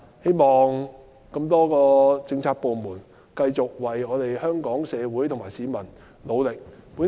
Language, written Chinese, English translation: Cantonese, 希望政府的多個政策部門能繼續為香港社會和市民努力。, I hope that various government Policy Bureaux will continue to work hard for the Hong Kong community and the public